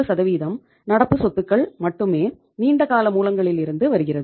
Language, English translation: Tamil, 3% of current assets are coming from long term sources